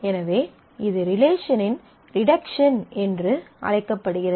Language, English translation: Tamil, So, that is called the reduction of schema which is often used